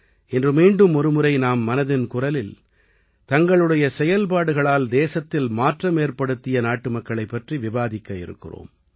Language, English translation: Tamil, From today, once again, in ‘Mann Ki Baat’, we will talk about those countrymen who are bringing change in the society; in the country, through their endeavour